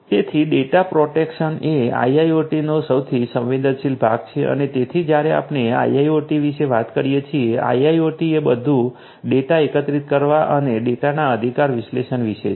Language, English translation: Gujarati, So, data protection is the most sensitive part of IIoT and so basically you know you have to because when we are talking about IIoT; IIoT it’s all about collecting data and analyzing the data right